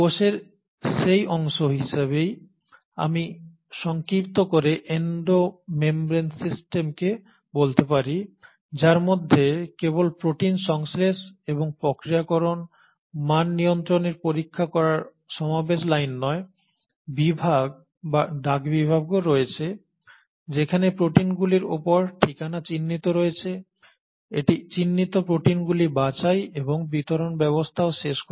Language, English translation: Bengali, So I can kind of summarize Endo membrane system as that part of the cell, which has not only the assembly line for synthesising and processing the proteins, checking the quality control, but is also the section or the postal section, where the addresses are marked on the proteins having marked the proteins it ends up sorting the proteins and it is also the delivery system